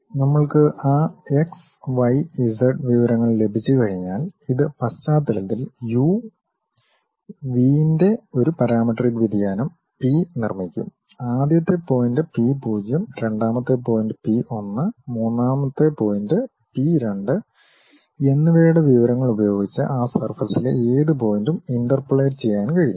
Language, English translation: Malayalam, Once we have that x, y, z information; it will construct at the background a parametric variation P of u, v; any point on that surface can be interpolated using information of first point P 0, second point P 1 and third point P 2